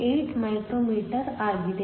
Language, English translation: Kannada, 8 micro meters